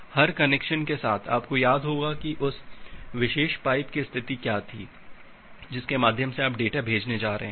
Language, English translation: Hindi, That with every connection, you will remember that what was the state of that particular pipe through which you are going to send the data